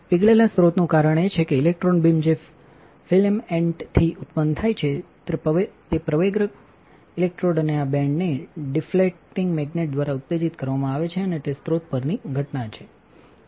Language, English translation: Gujarati, Molten source is because electron beam which is generated from the filament it is accelerated to the accelerating electrode and this band through the deflecting magnet and that it is incident on the source